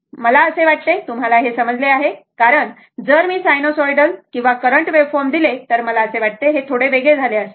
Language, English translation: Marathi, So, I hope you have understood because directly if I give you directly that your sinusoidal or current wave, then feelings will be slightly different